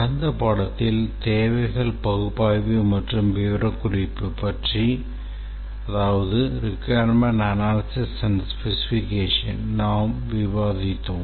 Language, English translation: Tamil, In the last lecture, we are discussing about how to go about doing requirements analysis and specification